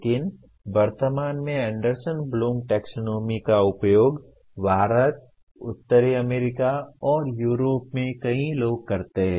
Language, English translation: Hindi, But at present Anderson Bloom Taxonomy is used by many in India, North America, and Europe